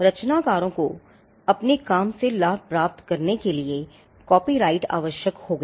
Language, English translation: Hindi, Copyright came out of the necessity for creators to profit from their work